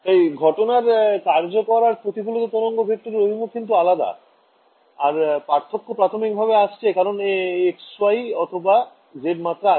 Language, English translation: Bengali, So, the directions of the incident and the reflected wave vector are different and that difference is primarily coming because of which dimension x, y or z